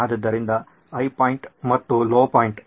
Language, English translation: Kannada, So high point and the low point